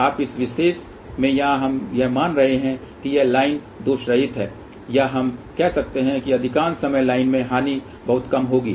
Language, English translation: Hindi, Now, in this particular case here we are assuming that this line is loss less or we can say most of the time line losses will be very very small